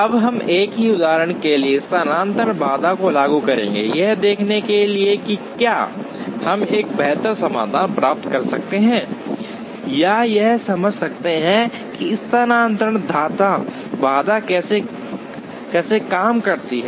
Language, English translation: Hindi, Now, we will apply the shifting bottleneck heuristic to the same example, to see whether we can get a better solution or to understand, how the shifting bottleneck heuristic works